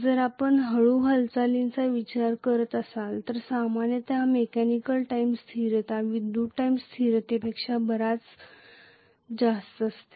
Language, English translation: Marathi, If you are considering a slower movement the mechanical time constant generally is much higher than the electrical time constant